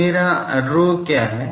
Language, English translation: Hindi, Now, what is my rho